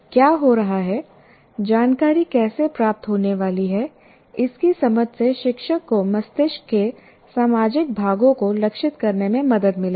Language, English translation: Hindi, So, an understanding of what is happening, how the information is going to get processed, will help the teacher to target social parts of the brain